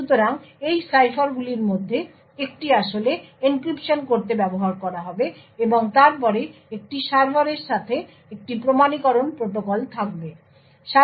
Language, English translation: Bengali, So, one of these ciphers would be used to actually do encryptions and then there would be an authentication protocol with a server